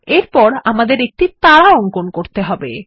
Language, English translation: Bengali, Next, let us draw a star